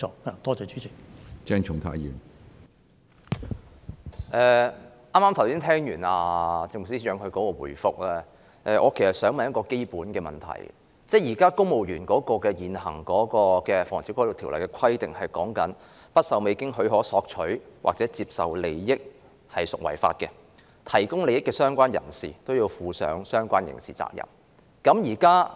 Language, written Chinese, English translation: Cantonese, 剛才聽了政務司司長的答覆，我其實想提出一個基本問題，就是公務員根據現行的《防止賄賂條例》規定，未經許可而索取或接受任何利益，即屬犯罪；提供利益的相關人士也要負上相關的刑事責任。, Having listened to the reply by the Chief Secretary for Administration I actually wish to ask a fundamental question . Under the existing POBO a civil servant who without permission solicits or accepts any advantage is guilty of an offence; the relevant person who offers the advantage is also subject to the relevant criminal liability